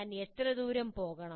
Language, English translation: Malayalam, How far should I go